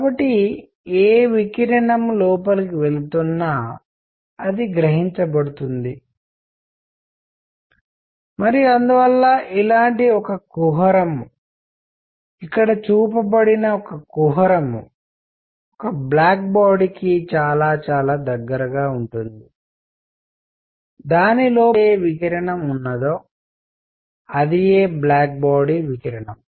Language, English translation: Telugu, So, whatever radiation is going in, it gets absorbed and therefore, a cavity like this; a cavity like the one shown is very very close to a black body whatever radiation is inside it, it is black body radiation